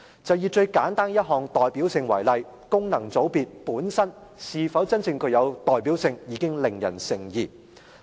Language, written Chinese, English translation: Cantonese, 就以最簡單一項代表性為例，功能界別本身是否真正具有代表性已令人成疑。, We can look at the simplest factor representativeness as an example . The true representativeness of the functional constituency is questionable